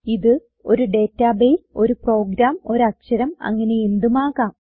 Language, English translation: Malayalam, It can be a database, a program, a letter or anything